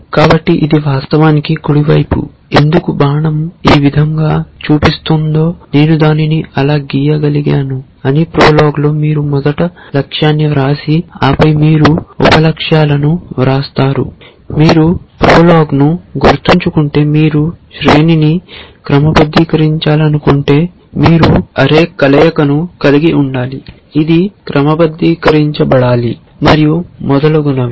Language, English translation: Telugu, So, this is actually the right hand side, why because the arrow is pointing this way I could have drawn it like that, but in prolog you write the goal first and then you write the sub goals, if you remember prolog that if you want to sort an array then you have to have a combination of array which should be sorted and so on and so forth